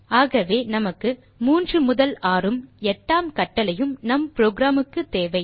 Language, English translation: Tamil, So we need first third to sixth and the eighth command for our program